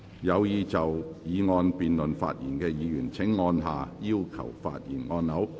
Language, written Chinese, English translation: Cantonese, 有意就議案辯論發言的議員請按下"要求發言"按鈕。, Members who wish to speak in the debate on the motion will please press the Request to speak button